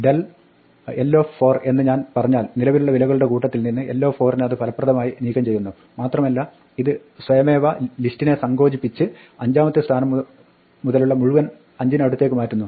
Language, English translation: Malayalam, If I say del l 4 and what it does is effectively removes l 4 from the current set of values, and this automatically contracts the list and shifts everything from position 5 on wards to the left by 5